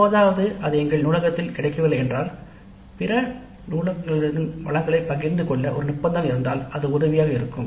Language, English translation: Tamil, And occasionally if it is not available in our library, if there is an agreement of this library with other libraries to share the resources, then it would be helpful